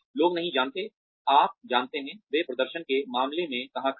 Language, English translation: Hindi, People do not know, you know, where they stand, in terms of the performance